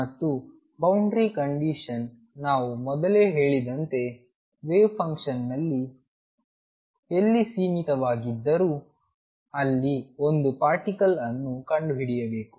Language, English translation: Kannada, And the boundary condition is going to be as we said earlier that wave function wherever it is finite there is a particle is to be found there